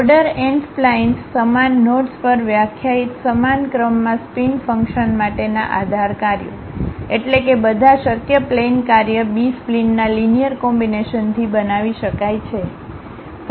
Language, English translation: Gujarati, B splines of order n, basis functions for spline functions for the same order defined over same knots, meaning that all possible spline function can be built from a linear combinations of B splines